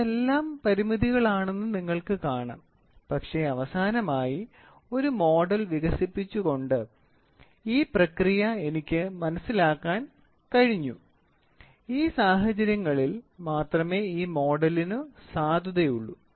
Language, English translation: Malayalam, So, you see all these things are constraints, but finally, I could understand the process by developing a model and this model is valid only at these conditions